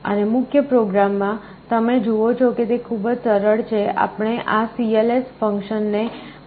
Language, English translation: Gujarati, And in the main program, you see it is very simple, we are calling this cls function first